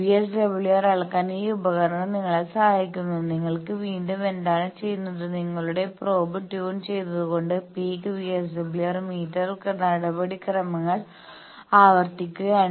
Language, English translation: Malayalam, This instrument helps you to measure VSWR, what you do again I am repeating the procedure peak VSWR meter by tuning your probe